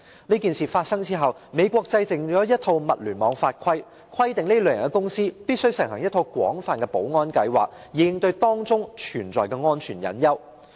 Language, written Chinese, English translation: Cantonese, 這事件發生後，美國制定了一套物聯網法例，規定這類公司必須實行一套廣泛的保安計劃，以應對當中存在的安全隱患。, After this incident the United States enacted a set of laws for the Internet of Things requiring this kind of companies to implement a comprehensive security programme to tackle the hidden threat to security